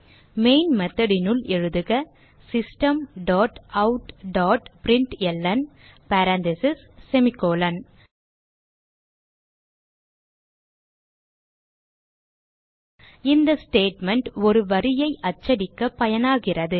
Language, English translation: Tamil, So inside main method typeSystem dot out dot println parentheses semi colon This is the statement used to print a line